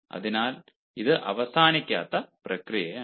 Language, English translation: Malayalam, so it is an unending process